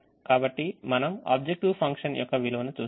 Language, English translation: Telugu, so we see the, the value of the objective function, we see the solution